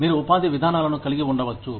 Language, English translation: Telugu, You could have employment policies